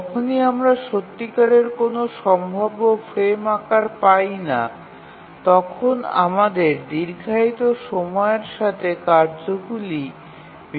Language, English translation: Bengali, So, whenever we cannot really get any feasible frame size, we need to split the tasks with longer execution times